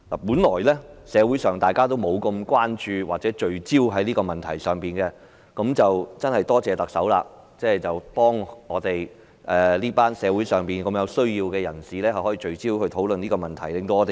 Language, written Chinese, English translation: Cantonese, 本來社會不太關注或聚焦於這個問題，但真的多謝特首令大家聚焦討論這個關乎社會上一群有需要人士的問題。, Originally society did not show too much concern or focus too much attention on this issue but thanks to the Chief Executive we have focused on discussing this issue relating to a group of needy people in society